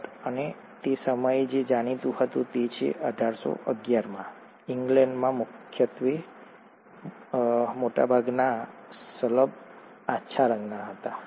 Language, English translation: Gujarati, Tutt and what was known then is that way back in 1811, most of the moths which were found in England , mainly in England were light colored